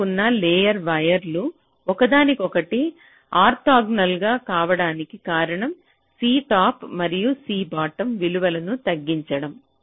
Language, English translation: Telugu, the reason why adjacent layer wires are orthogonal to each other is to reduce the values of c top and c bottom